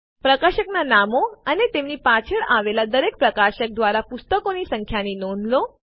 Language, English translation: Gujarati, Notice the publisher names and the number of books by each publisher beside them